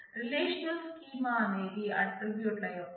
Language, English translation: Telugu, A relational schema is a set of attributes